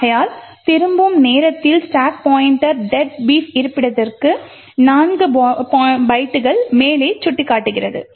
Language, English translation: Tamil, Therefore, at the time of return the stack pointer is pointing to 4 bytes above the deadbeef location